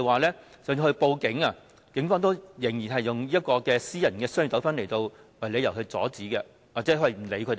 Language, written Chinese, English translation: Cantonese, 即使他們報警求助，警方仍然以私人商業糾紛為由阻止他們或不受理。, Even though they reported their cases to the Police they were still deterred or rejected by the Police on the ground of private commercial disputes